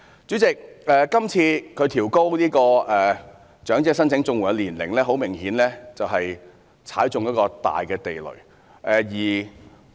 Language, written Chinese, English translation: Cantonese, 主席，政府是次調高申請長者綜援的年齡，顯然是踏中一個大地雷。, President in this upward adjustment of the eligibility age of elderly CSSA the Government has obviously stepped on a big mine